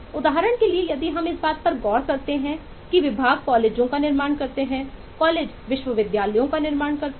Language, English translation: Hindi, for example, if we look into this particular, that departments eh build up colleges, colleges build up universities